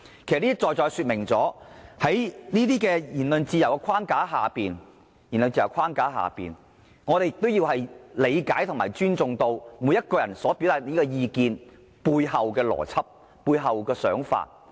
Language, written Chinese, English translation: Cantonese, "這些在在說明了在言論自由的框架下，我們應理解和尊重每個人所表達的意見背後的邏輯和想法。, These precisely show that the logic and thinking behind everyones opinion should be respected within the framework of freedom of speech